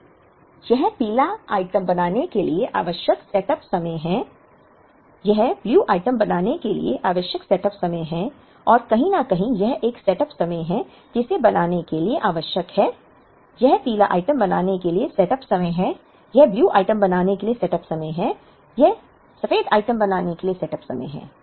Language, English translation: Hindi, Now, this is the setup time required to make the yellow item, this is the setup time required to make the blue item and somewhere here this is a setup time that is required to make; this is setup time to make the yellow item, this is the setup time to make the blue item, this is the setup time to make the white item